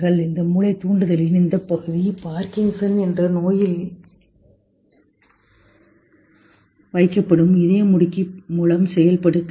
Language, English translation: Tamil, This part of this deep brain stimulation is done by a pacemaker put in a disease called Parkinson's